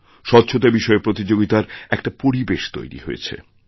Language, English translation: Bengali, In this manner an atmosphere of competition for cleanliness has been created